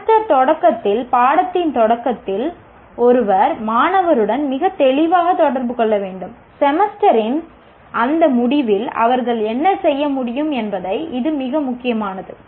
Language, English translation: Tamil, When at the beginning of the course, at the beginning of the semester, the student should, one should communicate to the student very clearly what they should be able to do at the end of the semester